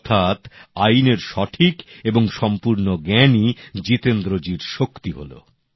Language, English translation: Bengali, This correct and complete knowledge of the law became the strength of Jitendra ji